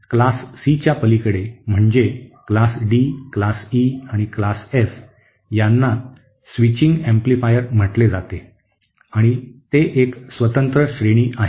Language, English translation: Marathi, Beyond the Class C, that is the Class D, Class E and Class F are called as switching amplifiers and they are a separate category